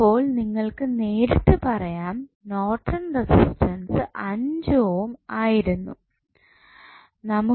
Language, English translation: Malayalam, So, you can straight away say that the Norton's resistance would be 5 ohm